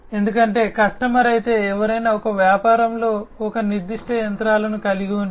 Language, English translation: Telugu, Because, you know, if the customer, you know if somebody if a business has a particular machinery